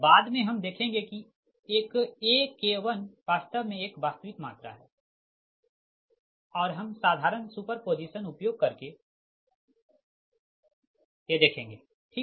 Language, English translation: Hindi, later we will see that ak one actually it is a real quantity and i will apply a simple super position